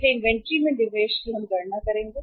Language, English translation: Hindi, So investment in the inventory we will have to calculate